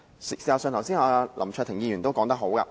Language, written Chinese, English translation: Cantonese, 事實上，林卓廷議員剛才說得好。, In fact Mr LAM Cheuk - ting made a most apt comment just now